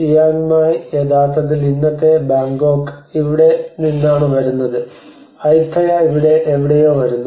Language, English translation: Malayalam, And Chiang Mai actually comes from here and the Bangkok, the today’s Bangkok comes from here and Ayutthaya some somewhere here